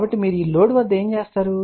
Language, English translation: Telugu, So, what you do at the load